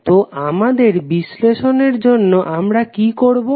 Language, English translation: Bengali, So, for our analysis what we will do